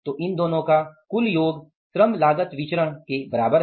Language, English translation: Hindi, So some total of these two is equal to the labor cost variance